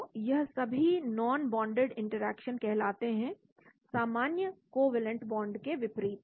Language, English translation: Hindi, So all these are called non bonded interactions, unlike the normal covalent bonds